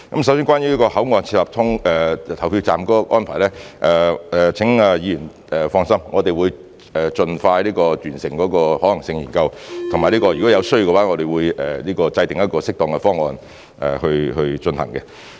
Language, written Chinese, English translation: Cantonese, 首先，關於在口岸設立投票站的安排，請議員放心，我們會盡快完成可行性研究，以及如果有需要，我們會制訂適當的方案去進行的。, In the first place regarding the arrangement of setting up polling stations at border control points Honourable Members can rest assured that we will complete the feasibility study as expeditiously as possible . We will also work out an appropriate plan to proceed with it as and when necessary